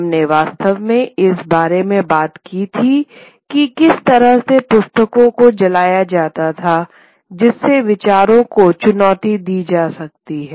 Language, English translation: Hindi, We in fact spoke about how books being burnt is a very important mechanism through which ideas could be challenged